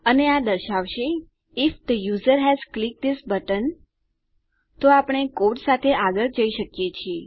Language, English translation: Gujarati, And this will say if the user has clicked this button, then we can carry on with our code